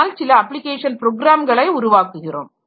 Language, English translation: Tamil, So, we have to have some application programs developed